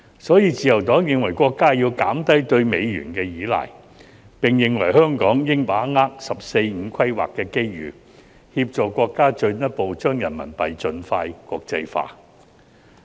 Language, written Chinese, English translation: Cantonese, 所以，自由黨認為國家要減低對美元的依賴，並認為香港應把握"十四五"規劃的機遇，協助國家進一步將人民幣盡快國際化。, We also opine that Hong Kong should seize the opportunities from the 14th Five - Year Plan and help the country to further internationalize RMB expeditiously